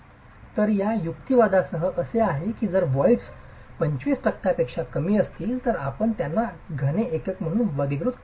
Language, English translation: Marathi, So, it's with this rationale that if the voids are less than 25 percent, you can still classify them as solid units